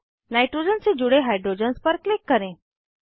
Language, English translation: Hindi, Then click on the hydrogens attached to the nitrogen